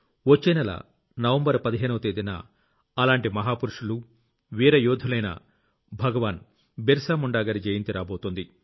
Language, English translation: Telugu, Next month, the birth anniversary of one such icon and a brave warrior, Bhagwan Birsa Munda ji is falling on the 15th of November